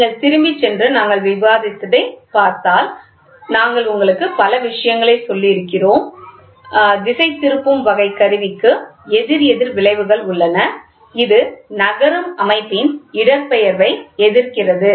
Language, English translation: Tamil, So, if you go back and see whatever we have discussed we have told you many things, opposite the deflecting type instrument has opposite effects which opposes the displacement of a moving system